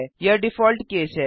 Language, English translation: Hindi, This is the default case